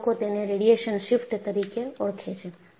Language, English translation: Gujarati, And people have understood and call it as a radiation shift